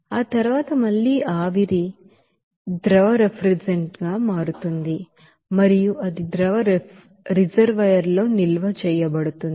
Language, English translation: Telugu, And then that vapor that refrigerant again it will become that liquid refrigerant and it will be stored in the liquid reservoir